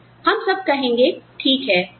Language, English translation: Hindi, And then, we will all say, okay